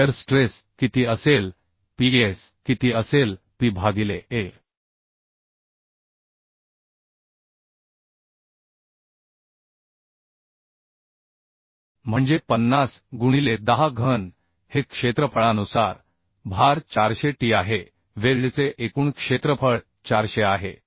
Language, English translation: Marathi, Similarly I can find out direct shear stress direct shear stress will be how much that will be Ps Ps will be P by a that means 50 into 10 cube this is load by area is 400t total area of the weld is 400t